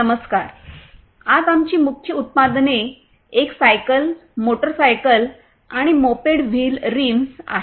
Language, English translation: Marathi, Hello, today our main products are a bicycle, motorcycle and moped wheel rims